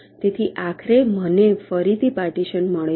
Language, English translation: Gujarati, so finally, again, i get a partition